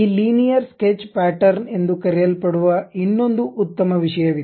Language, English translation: Kannada, There is one more powerful thing which we call this Linear Sketch Pattern